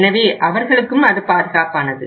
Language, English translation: Tamil, So they are also safe